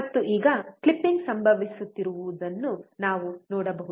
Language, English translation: Kannada, And now we can see there is a clipping occurring